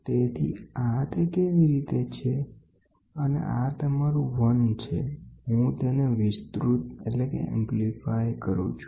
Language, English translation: Gujarati, So, this is how and this is your 1, I extend it